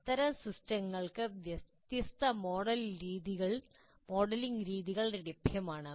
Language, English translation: Malayalam, There are modeling methods available for such systems